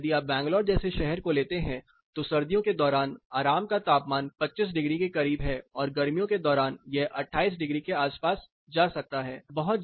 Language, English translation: Hindi, Whereas, if you take a city like Bangalore the comfort temperature is close to 25 degrees during winter and it can go up to say around 28 degrees during summer